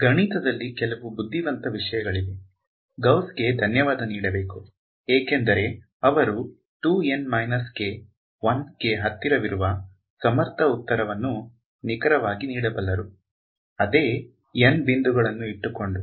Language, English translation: Kannada, So, some there is some very very clever math, not surprisingly thanks to Gauss who is able to give you the answer to accuracy 2 N minus 1; keeping the same N points right